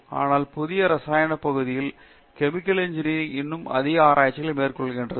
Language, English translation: Tamil, So these are all exciting new areas where chemical engineering is doing more and more research these days